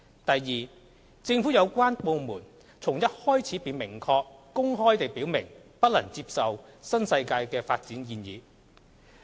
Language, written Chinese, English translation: Cantonese, 第二，政府有關部門從一開始便明確、公開地表明，不能接受新世界的發展建議。, Second the government department concerned had expressly and openly stated right from the beginning that it could not accept the development proposed by NWD